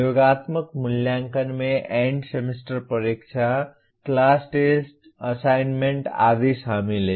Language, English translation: Hindi, The summative assessment includes the End Semester Examination, Class Tests, Assignments and so on